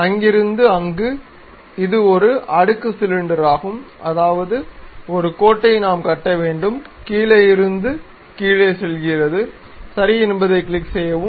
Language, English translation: Tamil, From there to there, draw it is a stepped cylinder that means, we have to construct a line goes down, from there again goes down, click ok